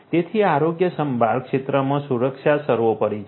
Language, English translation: Gujarati, So, security is paramount in the healthcare sector